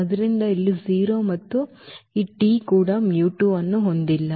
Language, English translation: Kannada, So, here 0 and also this t does not have mu 2